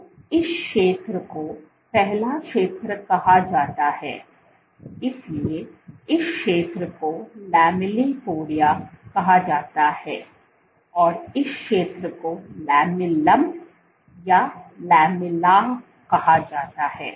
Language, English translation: Hindi, So, this zone first zone is called the, so this zone is called the lamellipodia and this zone is called the lamellum or lamella